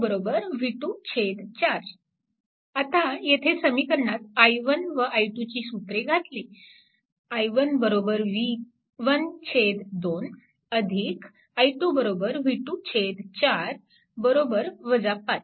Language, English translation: Marathi, So, i 3 is equal to here to write here i 3 is equal to v 2 minus v 3 by 10